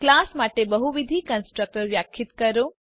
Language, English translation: Gujarati, Define multiple constructors for a class